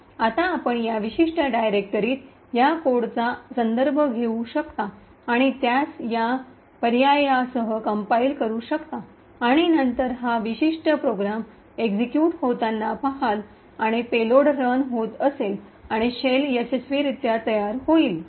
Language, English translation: Marathi, Now you can refer to this code in this particular directory and compile it with these options and then see this particular program executing and have the payload running and the shell getting created successfully